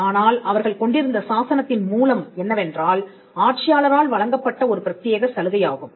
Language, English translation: Tamil, But the origin of their charter was an exclusive privilege the given by the ruler